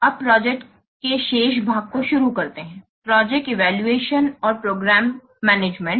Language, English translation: Hindi, So, now let's start the remaining part of the project evaluation and program management